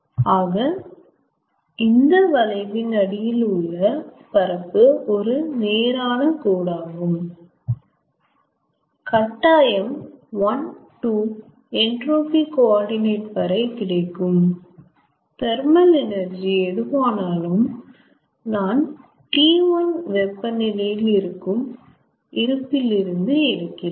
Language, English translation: Tamil, ok, so you see that the area under the curve, which is a straight line, of course one, two, up to the entropy coordinate, that gives whatever thermal energy i have taken from reservoir at temperature t one